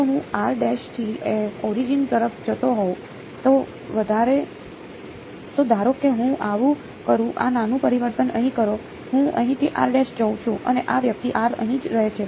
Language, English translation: Gujarati, If I move r prime to the origin right, so supposing I do; do this small transformation over here; I move r prime over here and this guy r remains over here